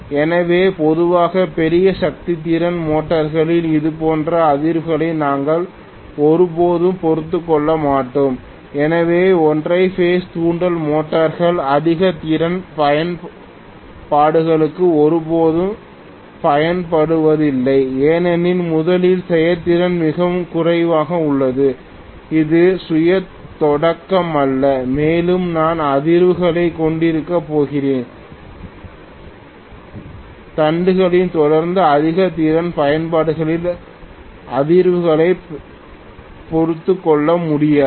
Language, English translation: Tamil, So normally we will never tolerate such vibrations in bigger power capacity motors so single phase induction motors are never used for higher capacity applications because first of all the efficiency is very low, it is not self starting and also because I am going to have vibrations continuously in the shaft which is definitely not tolerated in higher capacity applications